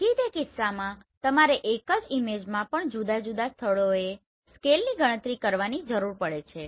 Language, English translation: Gujarati, So in that case you need to calculate scales at different places even in a single image